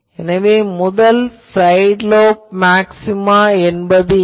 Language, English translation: Tamil, So, I will write first side lobe maxima